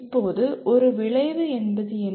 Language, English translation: Tamil, Now what is an outcome